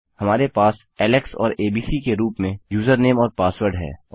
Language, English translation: Hindi, We have user name and password as Alex and abc and the id has already been set to 1